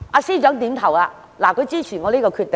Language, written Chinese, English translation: Cantonese, 司長也點頭示意支持我的建議。, FS also nodded to indicate support for my suggestion